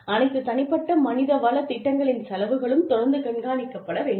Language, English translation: Tamil, The costs of all individual HR programs, should be continuously monitored